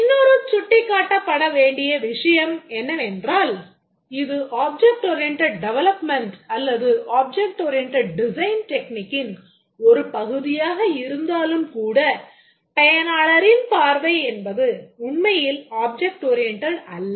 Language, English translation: Tamil, Another thing we need to point out that even though this is part of an object oriented development and object oriented design technique, but then the user's view is not really object oriented